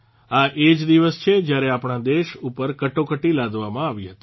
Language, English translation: Gujarati, This is the very day when Emergency was imposed on our country